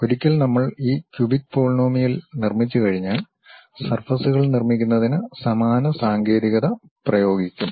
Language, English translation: Malayalam, Once we construct these cubic polynomials, then we will interpolate apply the same technique to construct the surfaces